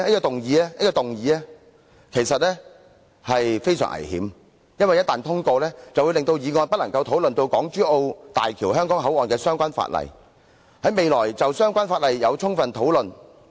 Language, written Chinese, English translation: Cantonese, 黃議員的議案其實非常危險，一旦通過就會令議員未能夠充分討論港珠澳大橋香港口岸的相關附屬法例。, He has speculated about Members motives for moving adjournment motions . Mr WONGs motion is actually very dangerous as it would if passed render Members unable to have a thorough discussion on the subsidiary legislation relating to the HZMB Hong Kong Port